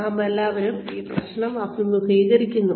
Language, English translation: Malayalam, All of us face this problem